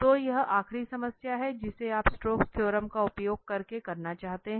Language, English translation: Hindi, So, this is the last problem you want to do using the Stokes theorem